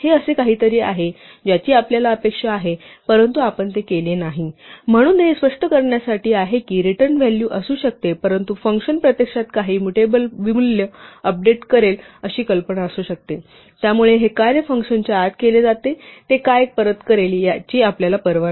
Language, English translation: Marathi, This is something which we would expect but we have not done it, so this is just to illustrate that there may be a return value but may be the idea is a function will actually update some mutable value so we do not care what it returns all the work is done inside the function